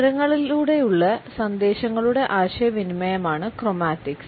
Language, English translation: Malayalam, Chromatics is our communication of messages through colors